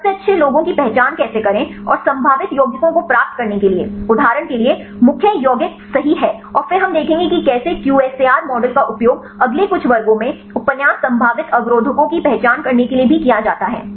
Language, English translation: Hindi, How to identify the best ones right and to get the probable compounds which are for example, the lead compounds right and then we will see the how the QSAR models are also used right to identify the novel potential inhibitors in the next few classes